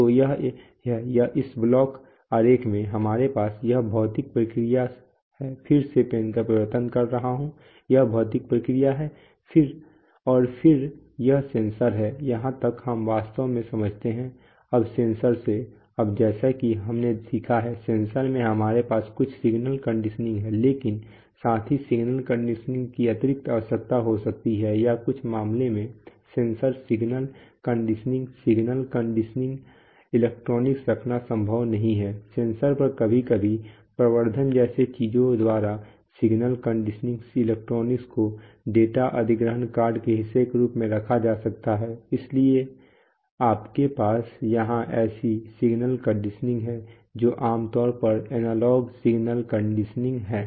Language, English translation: Hindi, So, this is, in this block diagram, we have this physical process change of pen again, this is the physical process and then this is the sensor, up to this we actually understand, now from the sensor, now the, as we have understand, as we have learned, the sensor itself we have some signal conditioning but at the same time there may be further signal conditioning required or in some cases if the sensor signal conditioning, if you know if it is not possible to put signal condition electronics at the sensor sometimes, the sense the signal condition electronics by things like amplification can be put as part of the data acquisition card itself, so you have such signal conditioning here which is typically analog signal conditioning